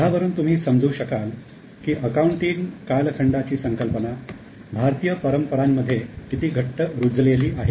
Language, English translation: Marathi, Now you can here understand how the concept of accounting period is very firmly rooted in Indian tradition